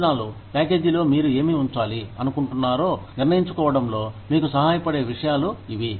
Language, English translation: Telugu, These are the things, that help you decide, what you want to put in the benefits package